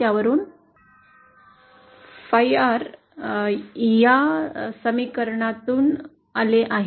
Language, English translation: Marathi, Phi R comes from this equation